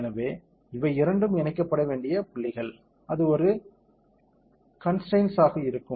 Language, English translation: Tamil, So, these two are the points which be fixed so, that will be a constraint